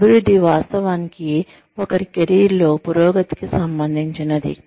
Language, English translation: Telugu, Advancement actually relates to, progression in one's career